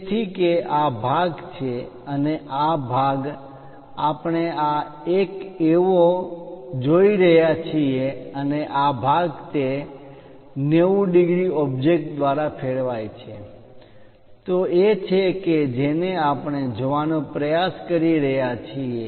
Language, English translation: Gujarati, So, that this part is this part and this part we are looking as this one and this part is that is rotated by 90 degrees object, that one what we are trying to look at